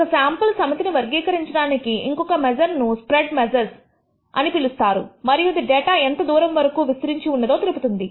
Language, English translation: Telugu, The another measure which characterizes a sample set is what we call the measures of spread and tells you how widely their data is ranging